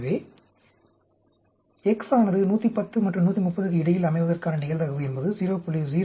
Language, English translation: Tamil, So, the probability having between 110 and 130 of x, is 0